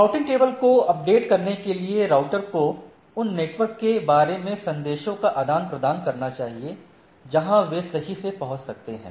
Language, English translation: Hindi, So, the router exchanges; so, in order to update the routing table, the router should exchange messages about the network they can reach, right